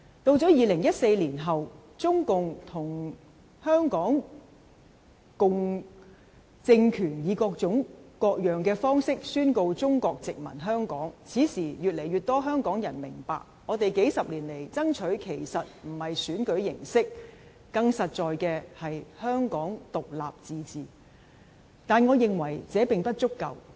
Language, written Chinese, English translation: Cantonese, 到了2014年後，中共與港共政權以各種各樣的方法宣告中國殖民香港，此時越多香港人明白，我們幾十年來爭取的其實不是選舉形式，更實在的是香港獨立自治，但我認為這並不足夠。, After 2014 the Communist Party of China and the Hong Kong communist regime proclaimed Chinas colonization of Hong Kong in various ways . Now more and more Hong Kong people have begun to understand that what we have been fighting for in the past decades was not a mode of election but the independence and autonomy of Hong Kong . But I think this is not enough